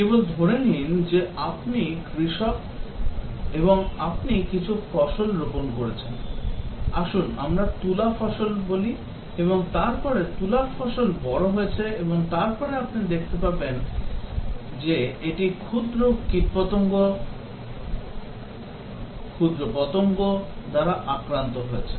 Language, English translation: Bengali, Just assume that you are a farmer and you planted some crop, let us say cotton crop and then the cotton crop has grown up and then you find that it is infested with the bugs, pests